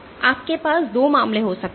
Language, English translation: Hindi, So, you can have 2 cases